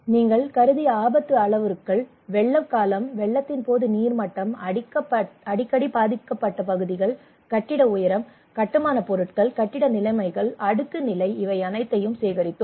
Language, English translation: Tamil, Hazard parameters we considered, flood duration, water level during the flood, areas frequently affected, building height, building materials, building conditions, plinth level these all we collected